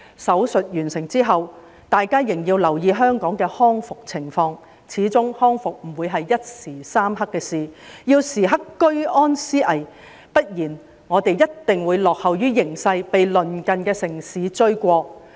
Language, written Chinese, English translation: Cantonese, "手術"完成之後，大家仍要留意香港的康復情況，始終康復不會是一時三刻的事，要時刻居安思危，不然我們一定會落後於形勢，被鄰近的城市追過。, Upon completion of the surgery we still need to pay attention to the recovery of Hong Kong . After all recovery does not come overnight . We should remain vigilant even in peaceful time lest we will fall behind and be overtaken by our neighbouring cities